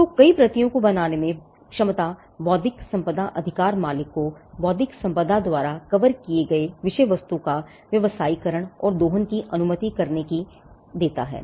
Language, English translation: Hindi, So, the ability to create multiple copies allows the intellectual property right owner to commercialize and to exploit the subject matter covered by intellectual property